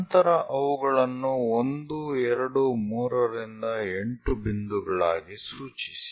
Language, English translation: Kannada, Then number them as point 1, 2, 3 all the way to 8